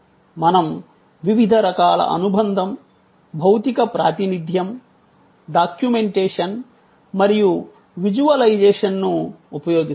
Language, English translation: Telugu, We use different sort of association, physical representation, documentation and visualization